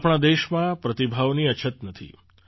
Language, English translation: Gujarati, There is no dearth of talent in our country